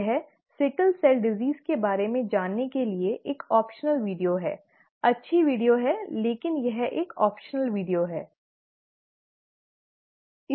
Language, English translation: Hindi, This is an optional video to know about sickle cell disease, nice video, but it is an optional video